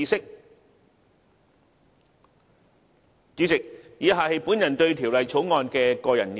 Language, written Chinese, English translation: Cantonese, 代理主席，以下是我對《條例草案》的個人意見。, Deputy President the following is my personal view on the Bill